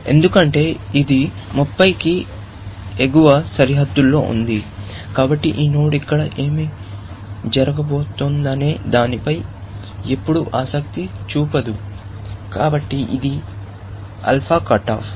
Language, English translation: Telugu, That, because this is upper bounded by 30, this node is never going to be interested in what is going to happen here; so, might as well, cut it off, and this is an alpha cut off